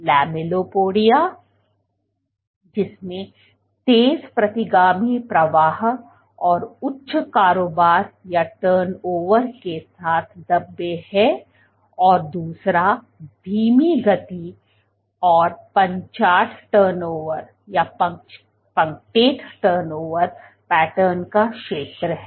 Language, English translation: Hindi, The lamellipodia which has speckles with fast retrograde flow, high turnover and second is zone of slow flow and punctate turnover pattern